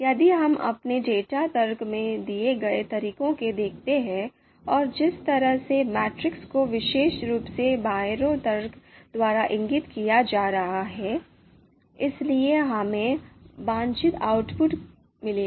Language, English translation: Hindi, So if we look at the way we have given the input in our data argument, the first argument, and the way the matrix is being created specifically as indicated by the byrow you know argument, so we will get the desired output